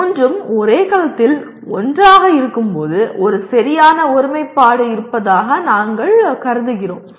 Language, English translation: Tamil, When all the three are together in the same cell, we consider we have a perfect alignment